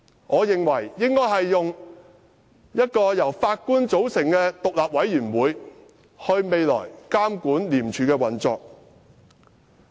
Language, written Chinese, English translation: Cantonese, 我認為未來應由一個由法官組成的獨立委員會監管廉署的運作。, I believe that the operation of ICAC should in future be monitored by an independent committee made up of Judges